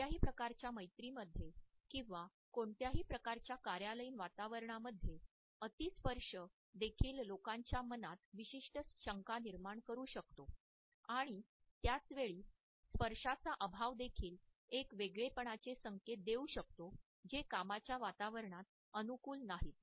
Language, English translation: Marathi, In any type of friendship or in any type of office environment, too much touch can also create certain doubts in the minds of the people and at the same time an absence of touch can also signal in aloofness which is not conducive to a work atmosphere